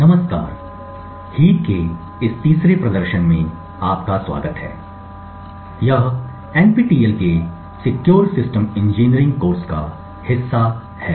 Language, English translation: Hindi, Hello and welcome to this third demonstration for heaps, this is part of the Secure System Engineering course as part of the NPTEL